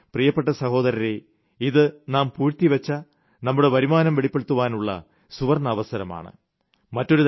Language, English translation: Malayalam, And so my dear brothers and sisters, this is a golden chance for you to disclose your undisclosed income